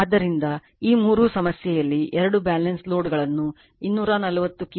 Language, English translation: Kannada, So, in this three problem , that Two balance loads are connected to a 240 kV